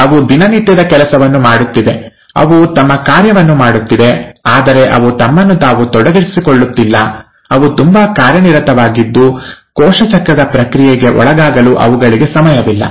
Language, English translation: Kannada, They are doing the routine job, they are doing their function, but, they are not committing themselves, they are just so busy that they just don’t have time to undergo the process of cell cycle in simple terms